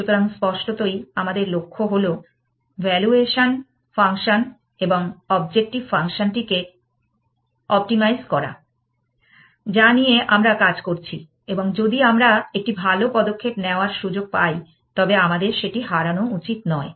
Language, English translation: Bengali, So, obviously our goal is to optimize the valuation function or the objective function of that we are working on and if we are getting access to a good move then we should not lose it